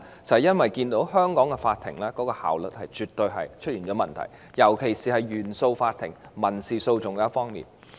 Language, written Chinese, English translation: Cantonese, 就是因為他們看見香港法庭的效率出現問題，尤其是原訟法庭的民事訴訟方面。, Because they are aware of the problems with the efficiency of Hong Kong courts especially that of civil litigation cases in CFI